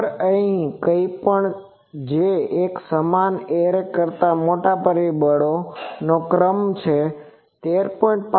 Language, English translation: Gujarati, Actually anything which is a order of factor larger than the uniform arrays 13